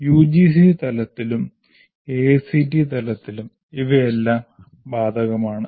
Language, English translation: Malayalam, This is right from UGC level at AICT level